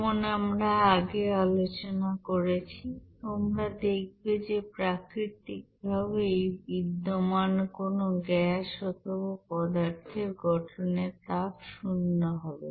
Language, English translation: Bengali, As what we have discussed earlier also for naturally you know existing any gas or substances you will see that heat of formation will be equals to zero